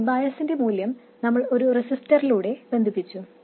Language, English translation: Malayalam, We connected this value of bias through a resistor